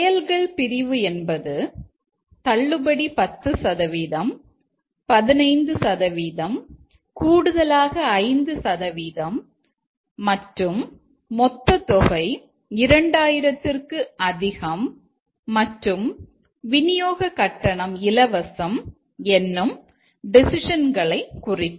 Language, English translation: Tamil, And the action part is the decision is 10 percent, 15 percent, additional 5% and then the total amount exceeds 2000 and then shipping is free